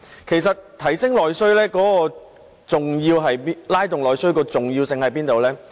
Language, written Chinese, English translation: Cantonese, 其實提升和拉動內需的重要性何在呢？, Why was it important to increase and stimulate internal demand?